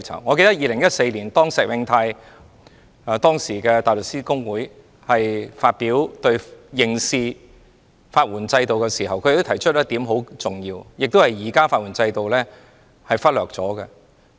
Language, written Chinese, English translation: Cantonese, 我記得在2014年，時任香港大律師公會主席石永泰就刑事法援制度發言時提出非常重要的一點，也是現時法援制度忽略的一點。, I remember in 2014 Mr SHIEH Wing - tai the Chairman of the Hong Kong Bar Association at the time raised a very important point when he spoke on the criminal legal aid system which was also neglected in the existing legal aid system